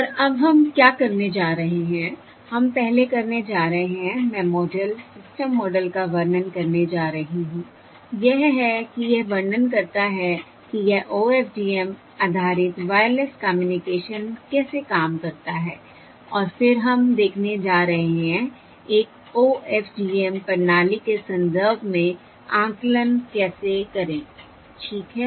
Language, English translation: Hindi, we are going to first Im going to describe the model, the system model, that is, how, describe how this OFDM based wireless communication works, and then we are going to look at how to perform estimation in the context of an OFDM system